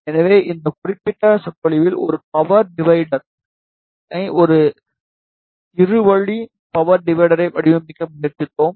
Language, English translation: Tamil, So, in this particular lecture, we tried to design a power divider two way power divider